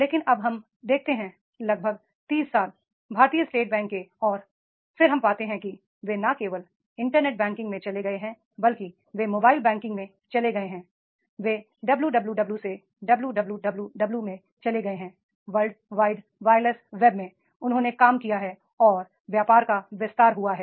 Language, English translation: Hindi, But now we see after almost 30 years the SBA and then we find that is they have moved not only in the internet banking but they have moved into the mobile banking they have moved from the WWW to WWW Worldwide Wireless Web they have worked and the business is expanded